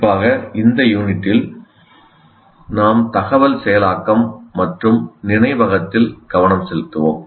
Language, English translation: Tamil, Particularly in this unit, we will be focusing on information processing and memory